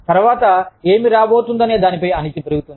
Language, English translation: Telugu, The uncertainty about, what is to come next, goes up